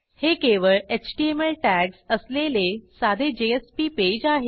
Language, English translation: Marathi, It is a simple JSP page with HTML tags only